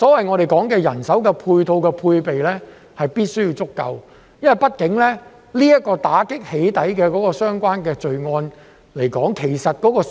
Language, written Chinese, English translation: Cantonese, 我們所說的人手配套和配備，必須要足夠，畢竟"起底"相關罪案的數字其實並不小。, There must be adequate staffing and support as we mentioned . After all the number of doxxing - related crimes is not negligible indeed